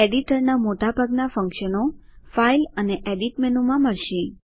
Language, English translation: Gujarati, Most of the functions of the editor can be found in the File and Edit menus